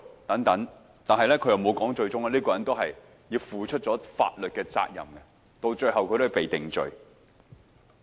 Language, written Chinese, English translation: Cantonese, 但朱凱廸議員沒有說這位人士最終都要負上法律責任，被定罪。, Yet what Mr CHU Hoi - dick fell short of saying is this man was eventually found guilty and convicted